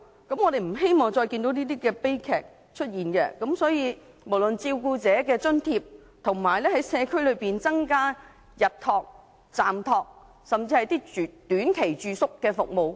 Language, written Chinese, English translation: Cantonese, 我們不希望再看到這些悲劇發生，所以，有需要考慮增加照顧者的津貼，以及在社區增加日託、暫託甚至短期住宿服務。, We do not wish to see these tragedies happen again thus there is a need to consider raising the allowance for carers and increasing day care occasional care and even short - term residential services in the community